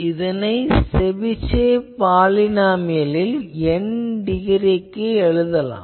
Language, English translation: Tamil, This can be equated to the Chebyshev polynomial of degree N